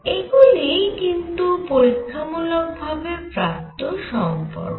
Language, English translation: Bengali, So, this is an initially experimentally derived relation